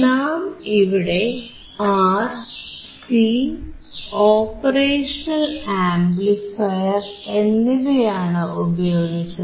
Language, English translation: Malayalam, Because we are using R we are using C and we are using operational amplifier